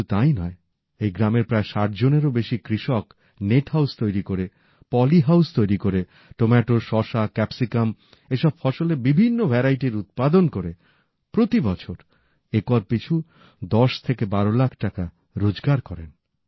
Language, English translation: Bengali, Not only this, more than 60 farmers of this village, through construction of net house and poly house are producing various varieties of tomato, cucumber and capsicum and earning from 10 to 12 lakh rupees per acre every year